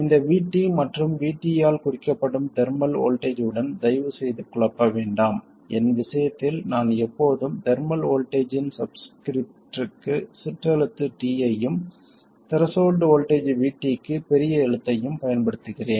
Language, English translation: Tamil, This VT, and please don't confuse it with the thermal voltage which is also denoted by VT, in my case I always use the lower case T for the subscript in the thermal voltage and upper case for the threshold voltage VT